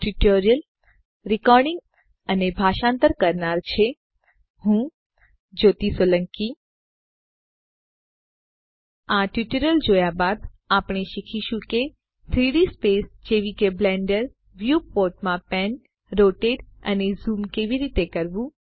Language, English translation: Gujarati, After watching this tutorial, we shall learn how to pan, rotate and zoom within a 3D space such as the Blender viewport